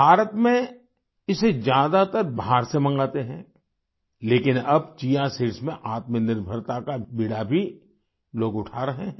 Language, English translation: Hindi, In India, it is mostly sourced from abroad but now people are taking up the challenge to be selfreliant in Chia seeds too